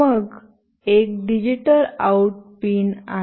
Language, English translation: Marathi, Then there is a digital out pin